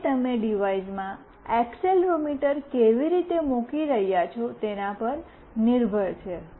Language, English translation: Gujarati, So, it depends on how you are putting the accelerometer in the device also